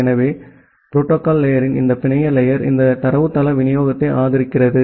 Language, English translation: Tamil, So, this network layer of the protocol stack ideally it supports this datagram delivery